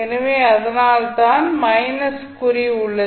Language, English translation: Tamil, So, that is why it is minus